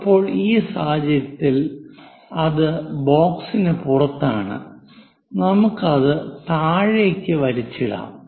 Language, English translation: Malayalam, Now, in this case, it is outside of the box, let us pull it down